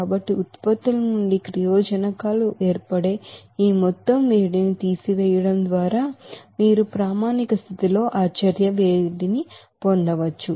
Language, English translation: Telugu, So just by subtracting this total heat of formation of the reactants from the products, you can get that heat of reaction at standard condition